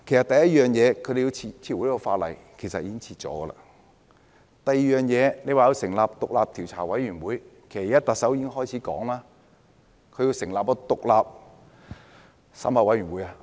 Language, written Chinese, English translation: Cantonese, 第一，撤回《逃犯條例》的修訂，其實已經撤回了；第二，成立獨立調查委員會，其實特首已說會成立獨立檢討委員會。, First withdraw the amendments to the Ordinance; the amendments had actually been withdrawn . Second set up an independent commission of inquiry . In fact the Chief Executive has said that an independent review committee will be established